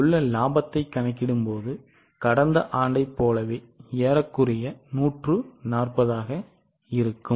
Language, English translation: Tamil, You can compare here the profit as almost from 140 was the profit of last year